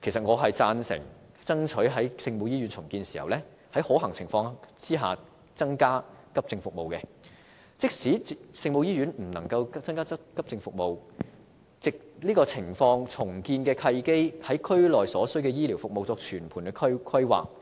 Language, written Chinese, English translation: Cantonese, 我贊成爭取在聖母醫院重建時在可行情況下增加急症服務，而即使聖母醫院不能增加急症服務，亦可藉重建的契機就區內所需的醫療服務作全盤規劃。, I approve of fighting or the provision of AE services in the Our Lady of Maryknoll Hospital during its redevelopment where practicable . And even if AE services cannot be provided in the Our Lady of Maryknoll Hospital we may make use of the opportunity presented by the redevelopment to make holistic planning in order to meet local healthcare needs